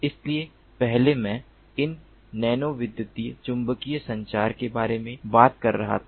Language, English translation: Hindi, so earlier i was talking about this nano electromagnetic communication